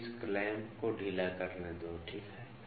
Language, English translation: Hindi, Let me loosen this clamps, ok